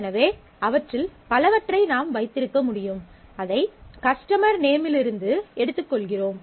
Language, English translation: Tamil, So, we can keep multiple of them and we take that out from the customer name